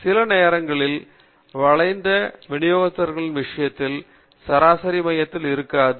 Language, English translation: Tamil, Sometimes, in the case of skewed distributions, the mean may not be in the center